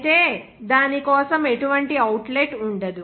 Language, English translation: Telugu, Whereas, there will be no outlet for that